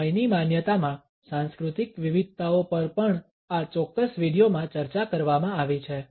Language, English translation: Gujarati, The cultural variations in the perception of time are also discussed in this particular video